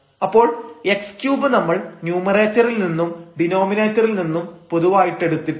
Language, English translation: Malayalam, So, x cube we have taken common in the numerator and x here from the denominator